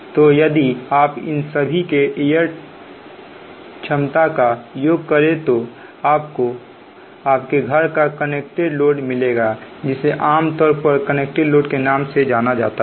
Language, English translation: Hindi, so if you add their total rated capacity, then that will be the, the connected load of your home, right